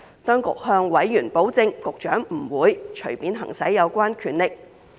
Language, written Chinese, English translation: Cantonese, 當局向委員保證，局長不會隨便行使有關權力。, 216 . The Government has assured members that the Secretarys power will not be exercised arbitrarily